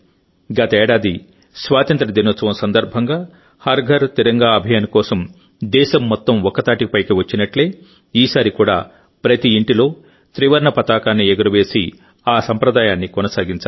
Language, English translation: Telugu, Last year on the occasion of Independence Day, the whole country came together for 'Har GharTiranga Abhiyan',… similarly this time too we have to hoist the Tricolor at every house, and continue this tradition